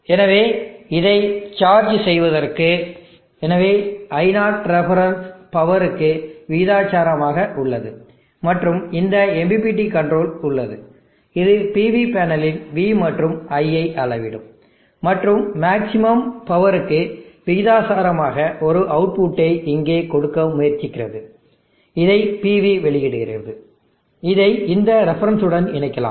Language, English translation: Tamil, So to charge it up, so I0 ref being proportional to power, and there is this MPPT controller which is measuring V and I or the PV panel and trying to give a output here which is proportional to maximum power, that the PV can deliver, we can connect this to this reference